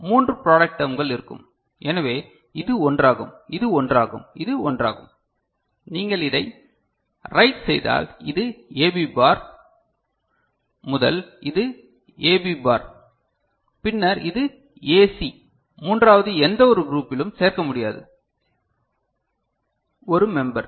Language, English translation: Tamil, Three product terms will be there, so this is one, this is one and this is one, right and if you write it then it will be this one is AB bar, first one is this one is A B bar, then this one is A C and the third one which cannot be included any group one member